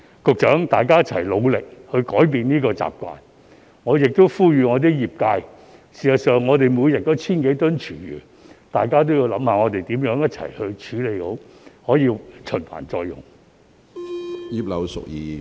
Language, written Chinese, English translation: Cantonese, 局長，大家一起努力改變這些習慣，我亦呼籲我的業界——事實上，我們每天都有 1,000 多公噸廚餘——大家也應想想如何一起處理好，令這些廚餘得以循環再用。, Secretary let us work together to change these habits . I also call on my sector―we actually produce some 1 000 tonnes of food waste per day―to look at how we can treat these food waste properly such that they can be recycled